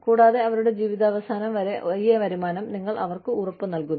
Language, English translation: Malayalam, And, you assure them, this income, till the end of their lives